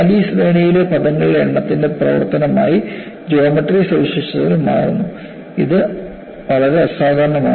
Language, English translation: Malayalam, But the geometric features change as a function of number of terms in the series, very unusual